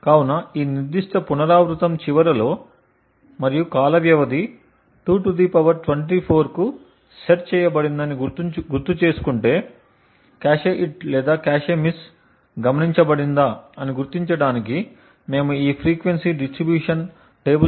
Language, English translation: Telugu, So, at the end of this particular iteration that is the time period and recollect that the time period is set to 2 ^ 24, we use these frequency distribution tables to identify whether a cache hit or cache miss is observed